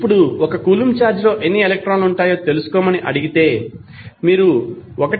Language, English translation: Telugu, Now, if you are asked to find out how many electrons would be there in 1 coulomb of charge; you will simply divide 1